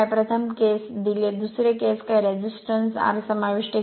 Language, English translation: Marathi, First case given, second case some resistance R is inserted